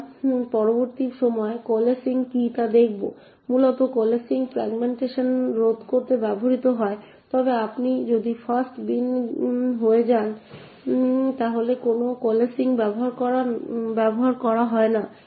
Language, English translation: Bengali, We will see what coalescing is at a later point, essentially coalescing is used to prevent fragmentation however if you bin happens to be the fast bin then there is no coalescing which is done